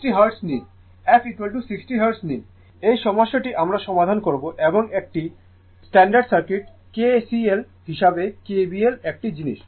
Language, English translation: Bengali, You take f is equal to 60 hertz, this problem we will solve and as standard circuit kcl, kbl this is one thing